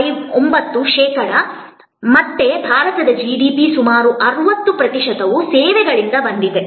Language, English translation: Kannada, 9 percent again almost 60 percent of India’s GDP came from services